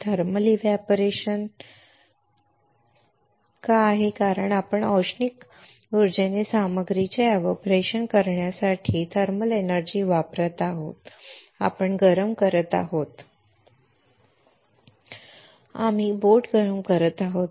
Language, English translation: Marathi, Why thermal evaporator because we are using thermal energy to evaporate the material by thermal energy because we are heating Right we are heating the boat